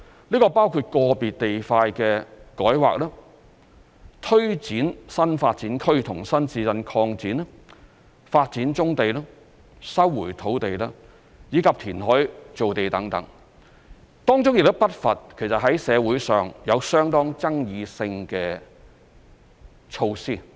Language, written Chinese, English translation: Cantonese, 這包括個別地塊的改劃、推展新發展區和新市鎮擴展、發展棕地、收回土地，以及填海造地等，當中亦不乏社會上有相當爭議性的措施。, This includes rezoning individual sites pressing ahead with the new development area and new town extension projects developing brownfield sites land resumption and creation of land through reclamation . Some of the measures are not without controversy in society